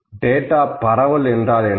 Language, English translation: Tamil, What is the spread of the data